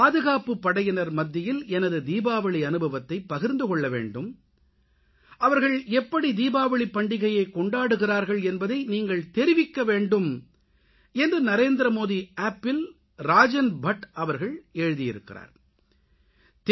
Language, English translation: Tamil, Shriman Rajan Bhatt has written on NarendramodiApp that he wants to know about my experience of celebrating Diwali with security forces and he also wants to know how the security forces celebrate Diwali